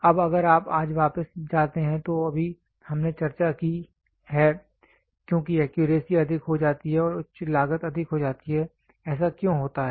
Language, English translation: Hindi, Now if you go back today just now we discussed as the accuracy goes higher and higher the cost goes high; why does that happen